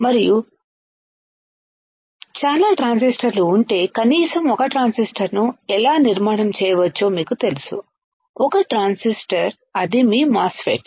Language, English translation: Telugu, And if there are a lot of transistors at least you know how we can fabricate one transistor, one transistor that is your MOSFET